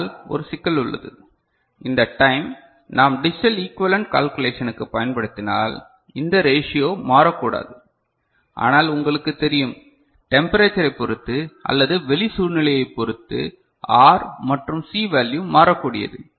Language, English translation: Tamil, But one issue is there, when we are using this time for the calculation of the digital equivalent that this ratio should not change, but if you know R and C value changes with you know temperature or some environmental condition and all